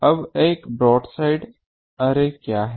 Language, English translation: Hindi, Now what is a broadside array